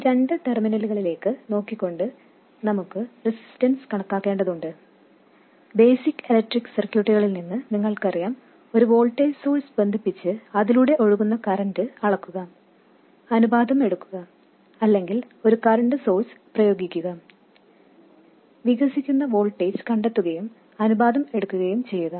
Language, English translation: Malayalam, And we have to calculate the resistance looking into these two terminals and you know from basic electrical circuits that the way to do it is by either connecting a voltage source and measuring the current that is flowing through it, taking the ratio or applying a current source, finding the voltage that develops and taking the ratio